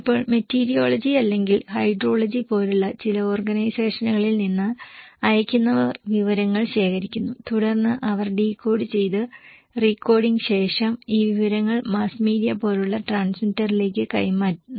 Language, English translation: Malayalam, Now senders collecting informations from some organizations like meteorology or hydrology and then they passed these informations to the transmitter like mass media after decoding and recoding and then they send it to the receiver and also these goes from transmitter to the receiver through decoding and recoding